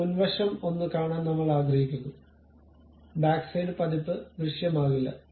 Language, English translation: Malayalam, Now, I would like to see something like only front view; the back side version would not be visible